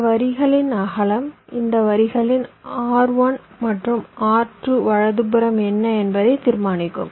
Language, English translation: Tamil, because width of this line will determine what will be the resistance of this lines r one and r two, right